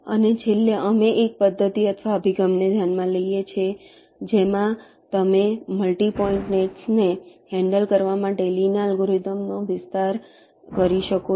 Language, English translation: Gujarati, lastly, we consider ah method run approach, in which you can extend lees algorithm to handle multi point nets